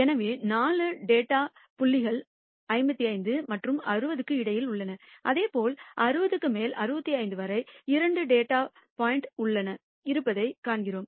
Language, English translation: Tamil, So, the 4 data points lying between 55 and 60 and similarly we find there are two data points lying just above 60 and up to 65 and so on, so forth